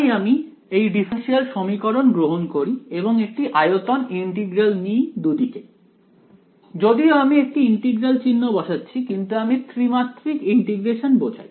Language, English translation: Bengali, So, we take this differential equation and do a volume integral on both sides ok; even though I am putting one integral sign I do mean a three dimensional integration